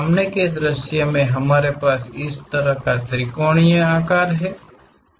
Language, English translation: Hindi, In the front view, we have such kind of triangular shape